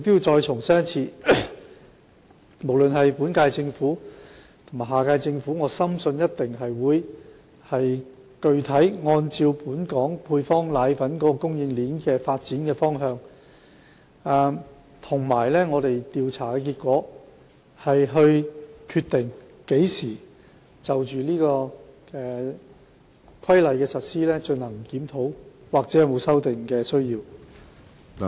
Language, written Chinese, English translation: Cantonese, 我重申，無論是本屆或下屆政府，均定會按照本港配方奶粉供應鏈的發展方向及市場調查結果，決定何時就《規例》的實施進行檢討，看看有否修訂的需要。, Let me reiterate both the current - term and the next - term Government will continue to on the basis of the development direction of the local supply chain and the findings of market surveys decide when to review the implementation of the Regulation and see if amendments are necessary